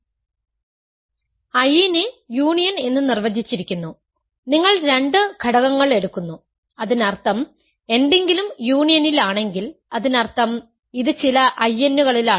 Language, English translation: Malayalam, I is defined to be the union, you take two elements so; that means, if something is in the union; that means, it is in some of the I ns